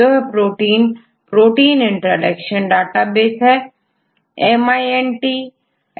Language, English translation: Hindi, So, this the database for the protein interactions that intact